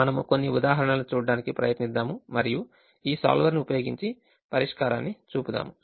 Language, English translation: Telugu, we will try to see a couple of examples and show the solution using this solver